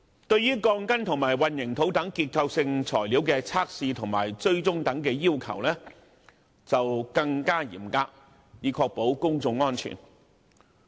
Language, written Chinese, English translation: Cantonese, 對於鋼筋及混凝土等結構性材料的測試及追蹤等要求則更為嚴格，以確保公眾安全。, As for structural materials such as steel bars and concrete the requirements for testing and tracing are far more stringent so as to ensure public safety